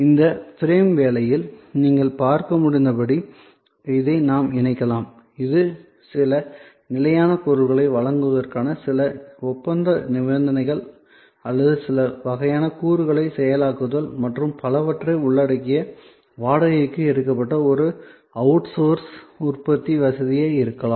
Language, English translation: Tamil, Again as you can see with in this frame work, we can combine this and therefore, this can be kind of an outsourced manufacturing facility taken on rent including certain contractual conditions for supply of certain types of goods or processing of certain kind of components and so on